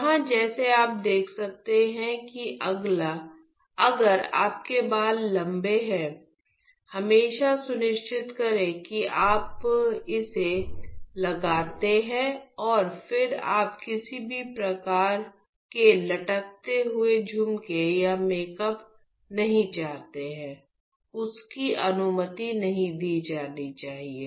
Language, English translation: Hindi, Here like you can see if you have a long hair always ensure you put it up and then you do not want any sort of dangling earrings or makeup none of that scorch should be allowed